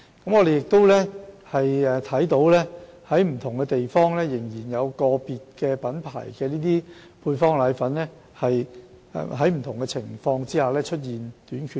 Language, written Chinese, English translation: Cantonese, 據觀察所得，在不同地方仍有個別配方粉品牌在不同情況下出現短缺。, According to observation there have been shortages of products of individual brands in certain districts